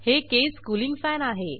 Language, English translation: Marathi, This is the case cooling fan